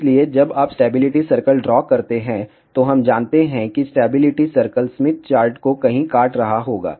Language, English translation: Hindi, So, when you draw the stability circle, we know that stability circle will be cutting the Smith chart somewhere